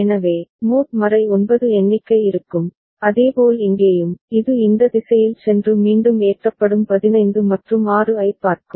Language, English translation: Tamil, So, mod 9 count will be there and similarly over here, it will go in this direction and again it will get loaded see 15 and 6